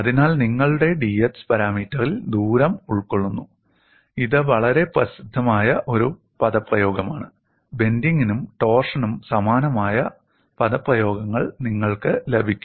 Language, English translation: Malayalam, So, the distance is accommodated in your d x parameter and this is a very famous expression, you will get similar expressions for bending as well as for torsion